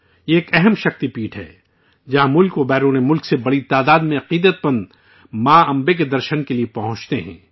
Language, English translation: Urdu, This is an important Shakti Peeth, where a large number of devotees from India and abroad arrive to have a Darshan of Ma Ambe